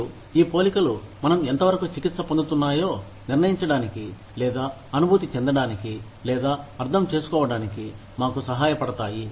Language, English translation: Telugu, And, these comparisons, help us decide, or feel, or understand, how fairly, we are being treated